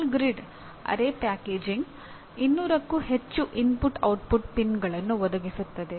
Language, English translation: Kannada, Ball grid array packaging can provide for more than 200 input output pins